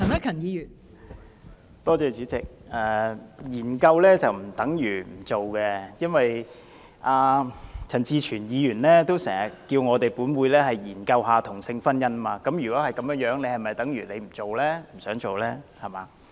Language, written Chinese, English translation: Cantonese, 代理主席，其實研究並不等於不會推行，陳志全議員也經常呼籲本會研究同性婚姻制度，那是否等於他不想推行呢？, Deputy President actually conducting a study on something does not mean it will not be implemented . Mr CHAN Chi - chuen often calls on this Council to study the institution of same - sex marriage . Does that mean he does not want it implemented?